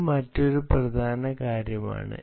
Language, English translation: Malayalam, so this is one other important thing